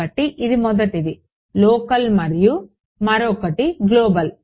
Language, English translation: Telugu, So, this was the first one was local the other one was global